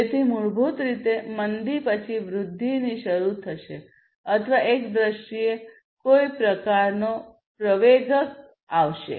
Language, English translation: Gujarati, So, basically from the recession, then there will be some kind of acceleration in terms of the growth